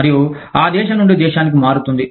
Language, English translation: Telugu, And, that will vary from, country to country